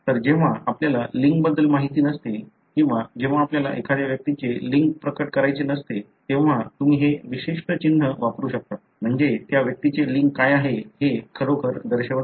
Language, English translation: Marathi, So, when you do not know about the sex or when you don’t want to reveal the sex of an individual you can use this particular symbol; so that really doesn’t denote as to what is the sex of that individual